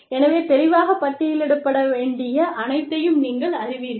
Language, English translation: Tamil, So, you know, so all that should be, listed clearly